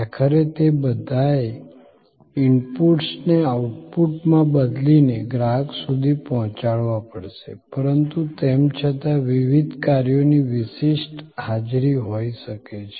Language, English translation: Gujarati, Ultimately, they all have to convert inputs into an output and deliver it to customer, but yet the different functions can have distinctive presence